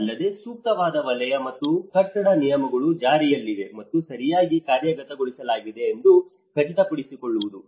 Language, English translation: Kannada, Also, ensuring that appropriate zoning and building regulations are in place and being properly implemented